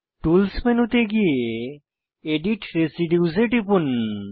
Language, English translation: Bengali, Go to Tools menu click on Edit residues